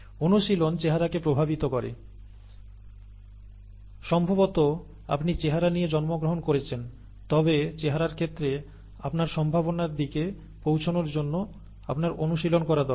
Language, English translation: Bengali, The exercise affects the looks, maybe you are born with the looks but you need to exercise to reach the potential in terms of the looks